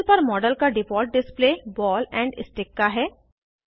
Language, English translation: Hindi, The default display of the model on the panel is of ball and stick